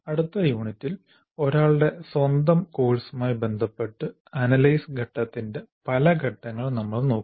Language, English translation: Malayalam, And then next unit, we will look at the steps of analysis phase with respect to one's own course